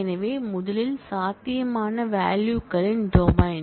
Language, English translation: Tamil, So, first the domain of possible values